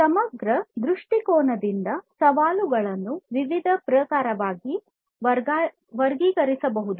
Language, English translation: Kannada, So, from a holistic viewpoint, the challenges can be classified into different types